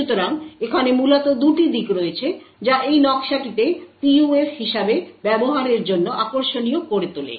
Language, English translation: Bengali, So, there are essentially 2 aspects that make this design interesting for use as a PUF